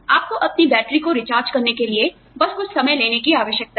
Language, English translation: Hindi, You just need to take, some time off, to recharge your batteries